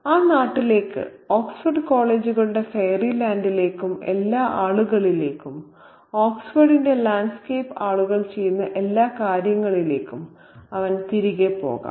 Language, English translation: Malayalam, He can visit these places secondhand and he can go back to that land, the fairy land of Oxford colleges and all these people who and all these things that people that landscape of, that people the landscape of Oxford